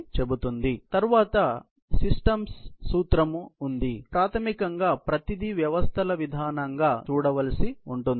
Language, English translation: Telugu, So, basically look everything as a systems approach